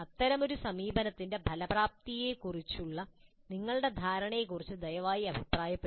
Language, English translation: Malayalam, Please comment on your perception regarding the effectiveness of such an approach